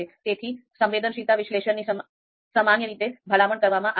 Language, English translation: Gujarati, That is why typically sensitivity analysis is recommended